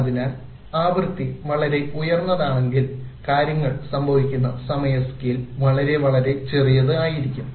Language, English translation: Malayalam, Therefore if the frequency is very high, the time scale in which things happen is very, very small, very narrow